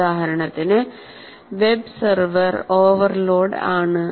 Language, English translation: Malayalam, For example, web server is overloaded